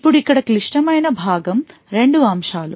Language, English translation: Telugu, Now the critical part over here are two aspects